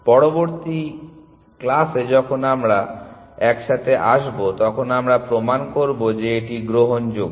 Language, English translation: Bengali, In the next class, when we meet we will prove that it is admissible